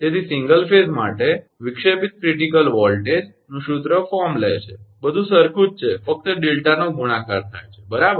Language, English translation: Gujarati, Therefore, for a single phase line, the formula for disruptive critical voltage takes the form, everything is same only delta is multiplied right